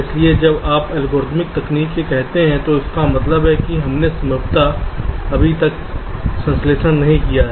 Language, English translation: Hindi, so when you say algorithmic technique, it means that we have possibly not yet carried out the synthesis